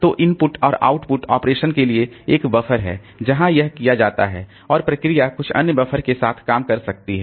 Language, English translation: Hindi, So, for input output operation, so there is a buffer where this is done and the process may be working with some other another buffer